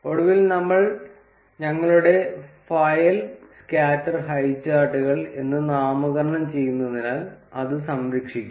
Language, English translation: Malayalam, Finally we would save our file as let's name it as scatter highcharts